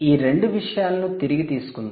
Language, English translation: Telugu, let us just put back these two things